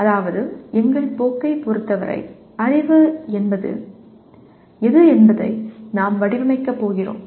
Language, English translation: Tamil, That means for our course, this is the way we are going to design what is knowledge